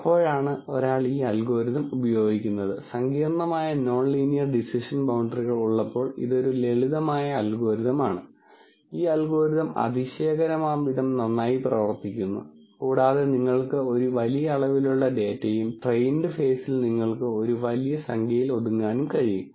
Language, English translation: Malayalam, And when does one use this algorithm, this is a simple algorithm when there are complicated non linear decision boundaries, this algorithm actually works surprisingly well, and when you have large amount of data and the train phase can be bogged down by large number of data in terms of an optimization algorithm and so on then you can use this